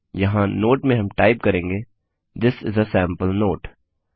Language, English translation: Hindi, Here we will type in a note This is a sample note